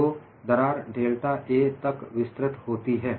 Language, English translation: Hindi, So, the crack extends by delta A